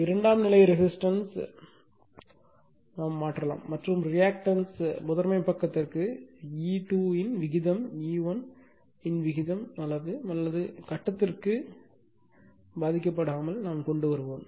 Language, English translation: Tamil, Now, the equivalent circuit can be simplified by transferring the secondary resistance and reactance is to the primary side in such a way that the ratio of of E 2 to E 1 is not affected to magnitude or phase